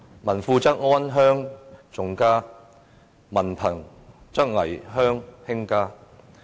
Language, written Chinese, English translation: Cantonese, 民富則安鄉重家，民貧則危鄉輕家。, Rich people will treasure their homes and love their families